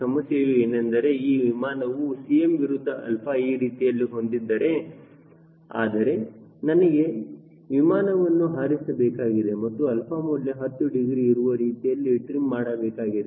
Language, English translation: Kannada, problem here is this aircraft has c m versus alpha, like this, but i have to fly and trim the aero plane at alpha equal to ten degree